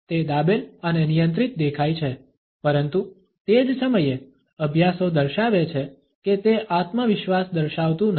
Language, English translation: Gujarati, It looks contained and controlled, but at the same time, studies show that instead of demonstrating confidence